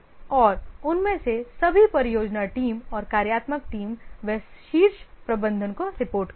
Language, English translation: Hindi, And all of them, the project team and the functional team they report to the top management